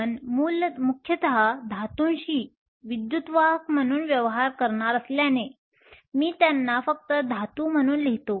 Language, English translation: Marathi, Since we will be mostly dealing with metals as conductors, I will also write them as just metals